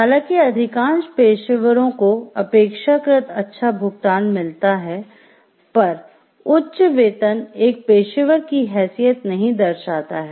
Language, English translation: Hindi, Although most professionals tend to be relatively well compensated, high pay is not a sufficient condition for a professional status